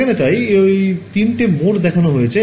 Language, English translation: Bengali, So, what they are showing here are those three modes